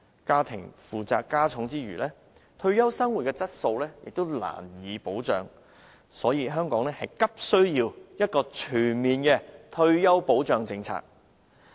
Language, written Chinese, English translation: Cantonese, 家庭負擔加重之餘，退休生活質素亦難以保障，所以，香港急需要全面的退休保障政策。, Not only will the household burden be heavier the quality of life in retirement can hardly be protected . Hence Hong Kong is in urgent need of a comprehensive retirement protection policy